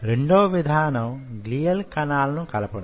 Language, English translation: Telugu, the second way is addition of glial cells